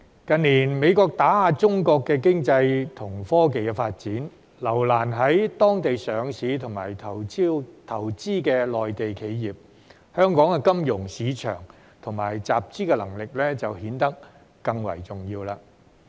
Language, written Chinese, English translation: Cantonese, 近年美國打壓中國經濟和科技發展，留難在當地上市及投資的內地企業，香港的金融市場和集資能力就顯得更為重要。, In recent years the United States has suppressed Chinas economic and technological development and created obstacles for Mainland companies listed and investing there . This has made Hong Kongs financial market and capital raising capabilities all the more important